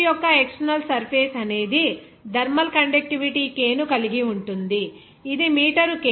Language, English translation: Telugu, The external surface of the pipe has a thermal conductivity K that is 0